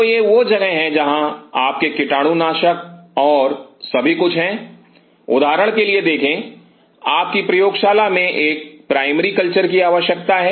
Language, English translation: Hindi, So, this is where you have the disinfect and everything see for example, your lab has a primary culture needed